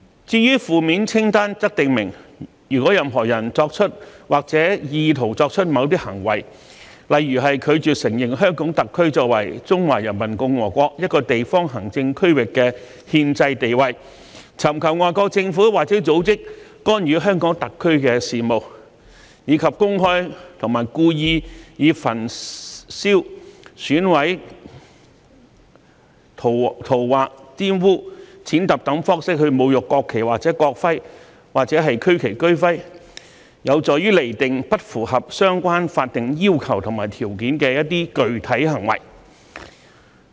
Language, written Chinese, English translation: Cantonese, 至於負面清單訂明任何人如作出或意圖作出某些行為，例如拒絕承認香港特區作為中華人民共和國一個地方行政區域的憲制地位、尋求外國政府或組織干預香港特區的事務，以及公開和故意以焚燒、毀損、塗劃、玷污、踐踏等方式侮辱國旗或國徽或區旗或區徽，有助釐定不符合相關法定要求和條件的具體行為。, As for the negative list it stipulates that if a person does or intends to do certain acts such as refusal to recognize the constitutional status of HKSAR as a local administrative region of the Peoples Republic of China soliciting interference by foreign governments or organizations in the affairs of HKSAR and desecrating the national flag or national emblem or regional flag or regional emblem by publicly and wilfully burning mutilating scrawling on defiling or trampling on it . The list sets out the specific acts that fail to fulfil the relevant legal requirements and conditions